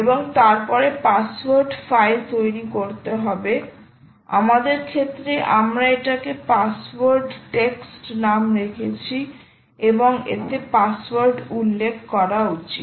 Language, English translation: Bengali, and then you have to create a password file, and in our case we have called it password dot text, and there you should mention the password